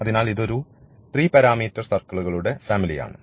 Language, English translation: Malayalam, So, this is the 3 parameter family of circles